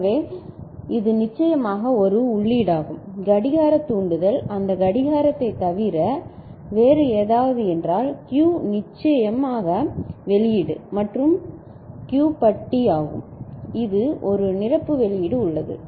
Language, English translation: Tamil, So, this is a single input of course, the clock trigger is there I mean, other than that clock; and the Q is the output and Q bar of course, a complementary output is there